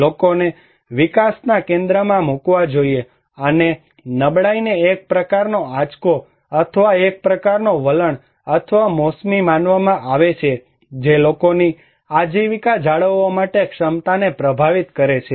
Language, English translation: Gujarati, People should be put into the center of the development and vulnerability is considered as a kind of shock or a kind of trend or seasonality that influence the capacity of the people to maintain their livelihood